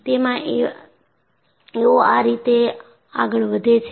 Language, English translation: Gujarati, They move in this fashion